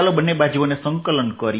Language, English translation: Gujarati, let us integrate both sides